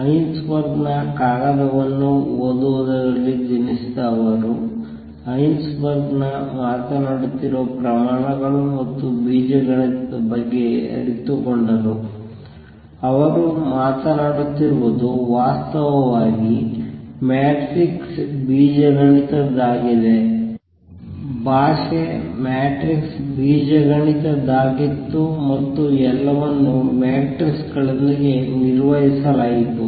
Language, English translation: Kannada, Born on reading Heisenberg’s paper realized that the quantities that Heisenberg was talking about and the algebra, he was talking about was actually that of matrix algebra; the language was that of matrix algebra and everything was dealt with matrices